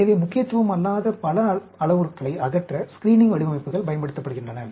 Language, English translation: Tamil, So, screening designs are used for eliminating many parameters which are of no significance